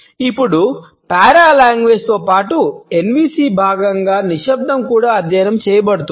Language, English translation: Telugu, Now, in addition to paralanguage we find that silence is also being studied as a part of NVC